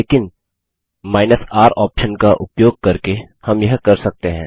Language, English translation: Hindi, But using the R option we can do this